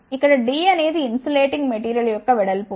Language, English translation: Telugu, Where d is the ah width of the insulating material